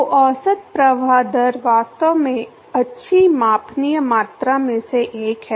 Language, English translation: Hindi, So, average flow rate is actually one of the good measurable quantity